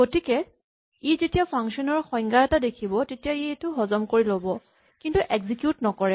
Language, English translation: Assamese, So, when it sees the definition of a function, it will digest it but not execute it